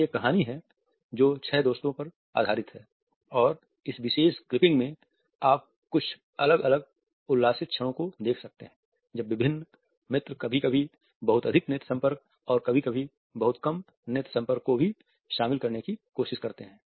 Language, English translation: Hindi, This is a story which is based on six friends and in this particular clipping you can look at some various hilarious moments when different friends try to incorporate eye contact sometimes too much eye contact and sometimes very little eye contact